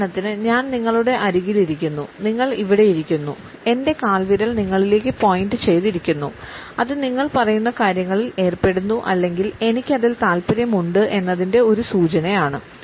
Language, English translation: Malayalam, For instance if I am sitting next to you and you are over here my leg is crossed with my toe pointed toward you that is a signal that I am interested in engaged in what you are saying